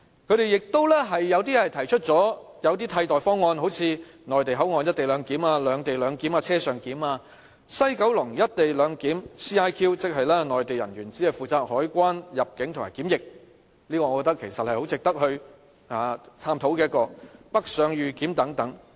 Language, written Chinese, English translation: Cantonese, 有些人亦提出了一些替代方案，好像內地口岸"一地兩檢"、"兩地兩檢"、"車上檢"、西九龍"一地兩檢"，即內地人員只負責海關、入境及檢疫，我覺得這是很值得探討的，還有北上預檢等。, Some have put forward alternative proposals . They include the co - location clearance at the Mainland; the separate - location clearance; the on - board clearance; and the co - location CIQ clearance at West Kowloon Station WKS limiting the powers of Mainland officials to the conduct of customs immigration and quarantine procedures . I think these options deserve further study